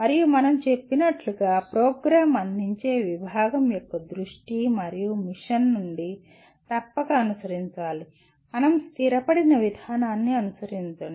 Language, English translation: Telugu, And as we said must follow from the vision and mission of the department offering the program and follow an established process